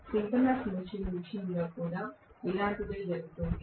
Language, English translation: Telugu, The same thing happens in the case of synchronous machine as well